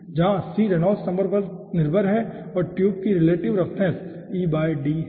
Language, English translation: Hindi, okay, where c is nothing but dependent on the reynolds number and the relative roughness of the tube, e by d